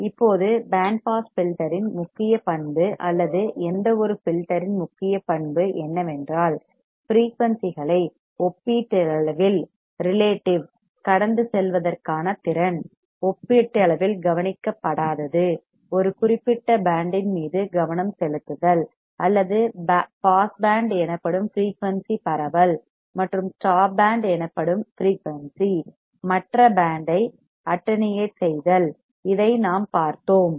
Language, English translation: Tamil, Now, the principle characteristic of band pass filter or any filter for that matter is its ability to pass frequencies relatively, un attenuated relatively, un attenuated over a specific band or spread of frequency called pass band and attenuate the other band of frequency called stop band, we have seen this